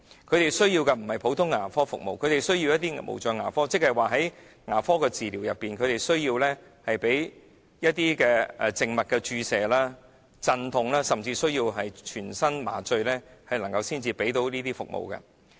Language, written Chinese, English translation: Cantonese, 他們需要的並不是普通的牙科服務，他們是需要無障牙科服務，即是說在牙科的治療當中，他們須接受靜脈注射、鎮痛，甚至需要全身麻醉，牙醫才能為他們提供牙科服務。, What they need is not ordinary dental service but special care dentistry that is in the course of dental treatment they have to receive intravenous injections sedation and even general anesthesia before dentists can provide dental service to them